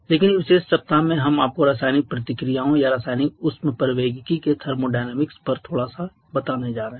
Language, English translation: Hindi, But in this particular week we are going to give you a little bit of touch on the thermodynamics of chemical reactions or chemical thermodynamics